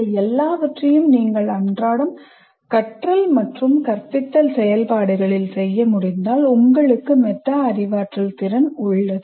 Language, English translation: Tamil, So if you are able to do all these things in your day to day learning activity or even teaching activity, then we have that metacognitive ability